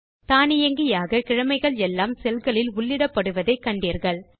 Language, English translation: Tamil, You see that the days are automatically entered into the cells